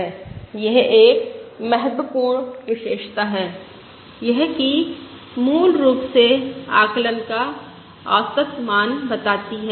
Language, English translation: Hindi, they says that, basically, the average value of the estimate